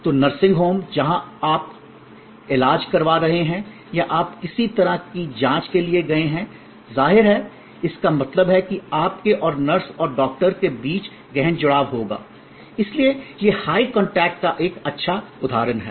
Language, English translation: Hindi, So, nursing home, where you are getting treated or you have gone for some kind of check up; obviously, means that between you and the nurse and the doctor, there will be intense engagement, so this is high contact, a good example